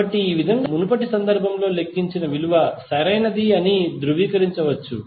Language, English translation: Telugu, So, in this way you can cross verify that whatever you have calculated in previous case is correct